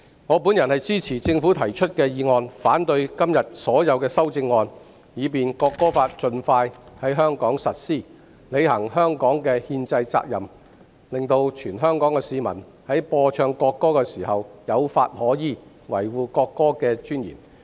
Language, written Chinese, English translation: Cantonese, 我支持政府提出的《條例草案》，反對今天所有修正案，以便《國歌法》盡快在香港實施，履行香港的憲制責任，令全香港市民在播唱國歌時有法可依，維護國歌的尊嚴。, I support the Bill introduced by the Government and oppose all the amendments today . I hope the National Anthem Law will be implemented in Hong Kong as soon as possible so that Hong Kong can fulfil its constitutional responsibility and Hong Kong people will have a law to follow when the national anthem is played and sung with a view to preserving the dignity of the national anthem